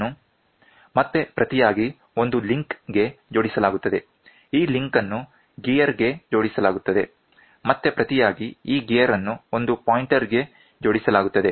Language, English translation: Kannada, This, in turn, is attached to a link, this link is attached to a gear, this gear, in turn, is attached to a pointer